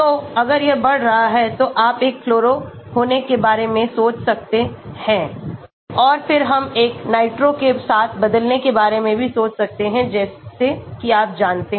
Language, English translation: Hindi, So, if it is increasing then you can think about having a fluoro , and then we can even think of replacing with a nitro like that you no